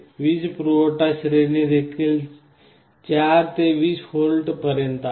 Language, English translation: Marathi, The power supply range is also from 4 to 20 volts